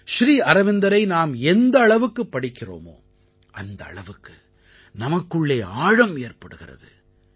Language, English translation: Tamil, The more we read Sri Aurobindo, greater is the insight that we get